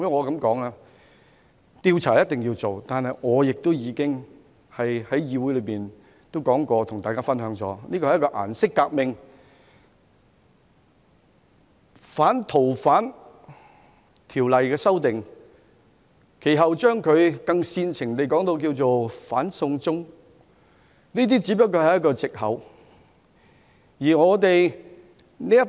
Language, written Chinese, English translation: Cantonese, 主席，調查一定要做，但我已在議會告訴大家，這是一場"顏色革命"，而反《逃犯條例》修訂，以及其後煽情的"反送中"只是一個藉口。, President an inquiry must be conducted but as I have already told Members in the Council this is a colour revolution and opposition to amending the Fugitive Offenders Ordinance and the consequent inflammatory anti - extradition to China are only a pretext